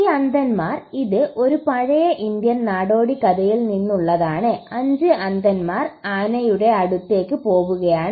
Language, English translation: Malayalam, So these blind men, this is from an old Indian folklore so to speak, 5 men blind men were moved on to an elephant